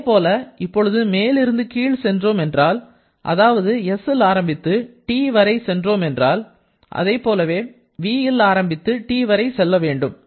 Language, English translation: Tamil, Similarly, now if we come from top to bottom that is starting from s moving to T, similarly from v moving to T